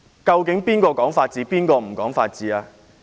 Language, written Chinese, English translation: Cantonese, 究竟誰講法治，誰不講法治？, After all who abides by the rule of law and who does not?